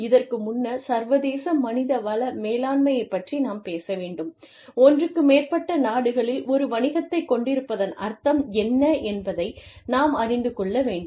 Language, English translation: Tamil, Before, we talk about, international human resource management, we need to know, what it means to have a business, in more than one country